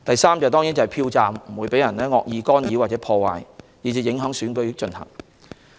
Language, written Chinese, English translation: Cantonese, 此外，票站不會受到惡意干擾或破壞，以致影響選舉進行。, Moreover the polling stations will not be maliciously disturbed or vandalized thereby affecting the conduct of the Election